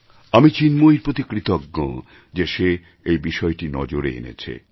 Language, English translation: Bengali, I am extremely thankful to young Chinmayee for touching upon this subject